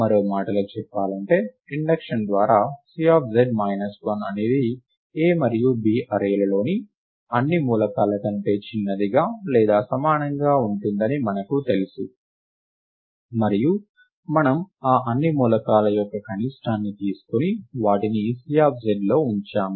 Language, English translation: Telugu, In other words we know that by induction that C of z minus 1 is smaller than or equal to all the elements in the arrays A and B put together, and we have taken the minimum of all those elements and put them into C of z